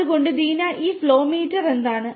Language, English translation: Malayalam, So, Deena what is this flow meter all about; what does it do